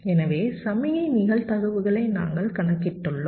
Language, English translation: Tamil, so we have calculated the signal probabilities